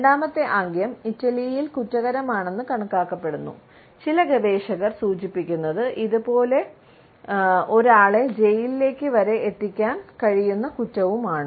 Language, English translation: Malayalam, The second gesture if used in Italy is considered to be offensive and as some researchers suggest, it can be a jailable offense also